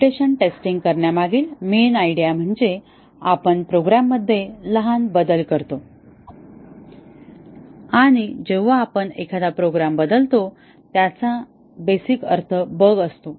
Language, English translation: Marathi, The main idea behind mutation testing is we make small changes to the program and when we changed a program that essentially means a bug